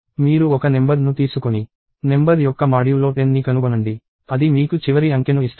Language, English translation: Telugu, See you take a number; find number modulo 10; that gives you the last digit